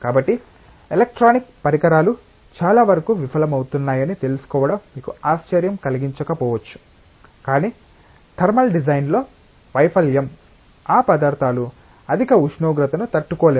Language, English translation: Telugu, So, you may not be surprised to know that many of the electronic devices actually fail not because of the failure in electronic design, but failure in thermal design that is those materials cannot withstand that high temperature